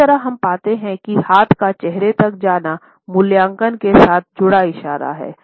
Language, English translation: Hindi, Similarly, we find that hand to face gestures are associated with evaluation